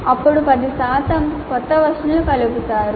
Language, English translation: Telugu, Then 10% of new items are added